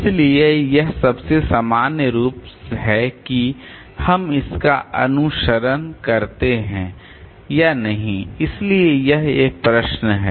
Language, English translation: Hindi, So, this is the most general form whether we follow it or not